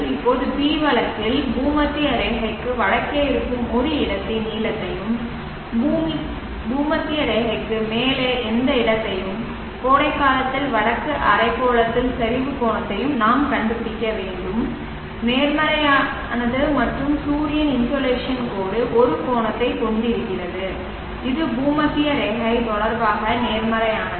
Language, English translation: Tamil, So consider case B, now in case B we need to find the length of a day of a place which is to the north of the equator, any place above the equator and in summer in the northern hemisphere which means the declination angle d is positive and the sun the insulation line is having an angle which is positive with respect to the equatorial plane